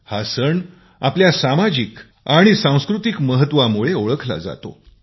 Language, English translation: Marathi, This festival is known for its social and cultural significance